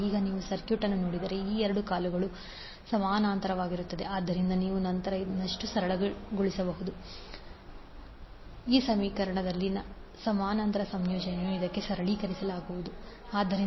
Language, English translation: Kannada, Now if you see the circuit these two legs are in parallel so you can further simplify then The parallel combination of 5 and 3 plus j 4 will be simplified to say Z1